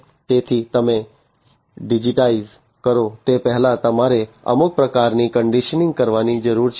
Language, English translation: Gujarati, So, before you digitize you need to do some kind of conditioning